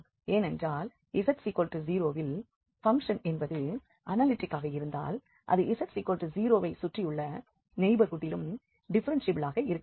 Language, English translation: Tamil, Because if the function is analytic at z equals 0 then it has to be differentiable in a neighborhood around this z equal to 0